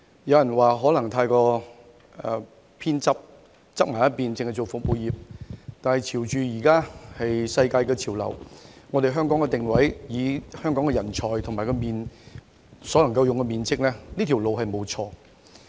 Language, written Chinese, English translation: Cantonese, 有人認為此情況未免過於側重服務業，但以現時的世界潮流、香港的定位和人才，以及我們所能使用的面積，這條路並沒有錯。, Some people may consider this undesirable as too much emphasis has been placed on service industries but judging from the current world trend the positioning and talents of Hong Kong as well as the area of land available for use in the territory this is the right path to take